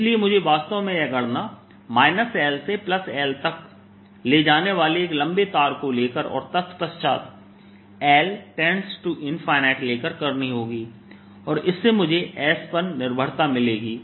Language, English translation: Hindi, so i have to actually do this calculation by taking a long wire going from minus l to l and then taking the limit l, going to infinity, and that'll give me the s dependence